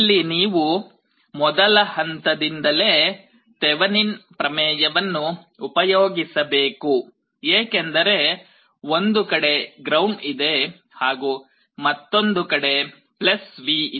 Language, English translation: Kannada, Here from the first step itself you have to apply Thevenin’s theorem because there is ground on one side and +V on other side